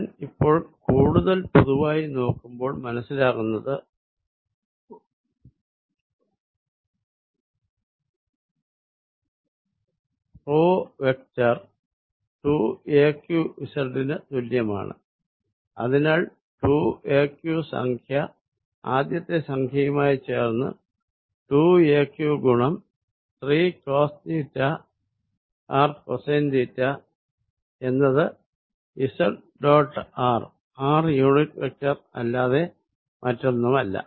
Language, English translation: Malayalam, I now want to be more general and realize that p vector is equal to 2 a q z and therefore, the term 2 a q combined with the first term here is 2 a q times 3 cosine of theta r, cosine theta is nothing but z dot r r unit vector